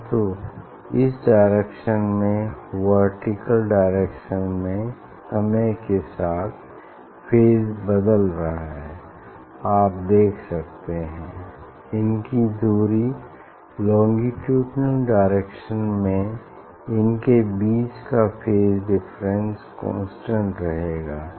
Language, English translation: Hindi, it is a vertical direction this phase is changing with time, but along this direction; along this direction you can see this their distance; it is a moving, phase difference between these in longitudinal direction it will remain constant